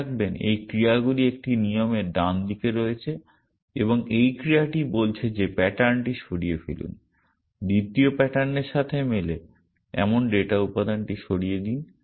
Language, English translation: Bengali, Remember these actions are on the right hand side of a rule and this action is saying that remove the pattern, remove the data element which match the second pattern